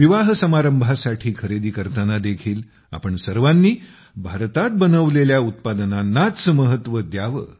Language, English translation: Marathi, While shopping for weddings, all of you should give importance to products made in India only